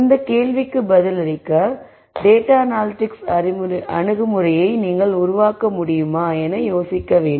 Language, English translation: Tamil, So, the question is can you develop a data analytic approach to answer this question